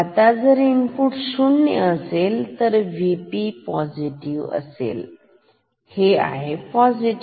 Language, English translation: Marathi, Now if input is 0 volt, then V P will be positive this is positive